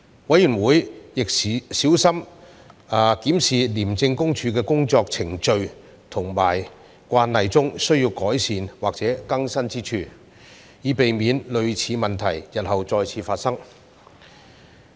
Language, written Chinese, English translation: Cantonese, 委員會亦小心檢視廉政公署的工作程序和慣例中需要改善或更新之處，以避免類似問題日後再次發生。, Moreover the Committee also carefully examines the ICAC procedures and practices that require enhancement or updating to guard against similar problems in the future